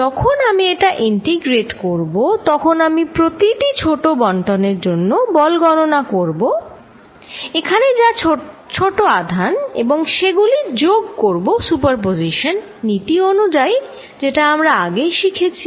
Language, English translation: Bengali, When I integrate this, when I am calculating force due to each small distribution, small charge here and adding it up, which was a principle of superposition we learnt earlier